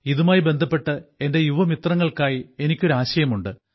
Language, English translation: Malayalam, In view of this, I have an idea for my young friends